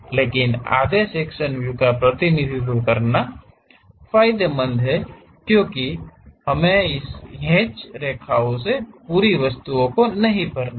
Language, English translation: Hindi, But, representing half sectional views are advantageous because we do not have to fill the entire object by this hatched lines